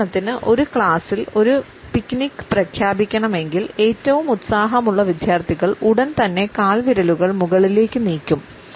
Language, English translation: Malayalam, For example, if a picnic is to be announced in a class the most enthusiastic students would immediately move their toes upward